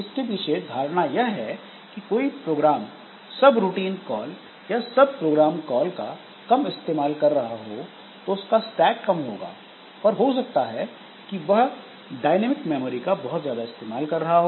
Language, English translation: Hindi, The idea is that some program may be using less of subroutine calls or sub program calls so the stack will be less but it may utilizing lot of dynamic memory so that the heap space will be utilized more